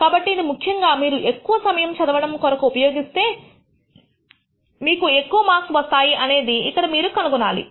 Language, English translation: Telugu, So, you should find typically if you spend more time study you should obtain typically more marks